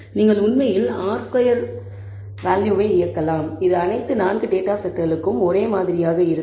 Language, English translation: Tamil, You can actually run the r squared value it will be the same for all 4 data sets